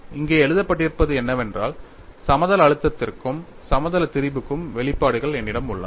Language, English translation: Tamil, And what is written here is I have the expressions for both plane stress as well as plane strain